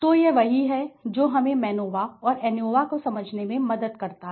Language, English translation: Hindi, So, that is what helps MANOVA and ANOVA helps us to understand okay